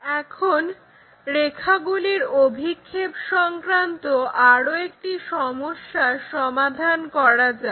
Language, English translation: Bengali, Now, let us solve one more problem for our projection of lines